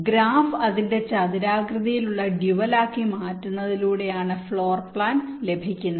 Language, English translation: Malayalam, floor plan is obtained by converting the graph into its rectangular dual